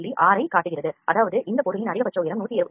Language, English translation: Tamil, 6 here which means the maximum height of this object is 172